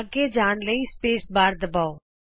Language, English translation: Punjabi, To continue, lets press the space bar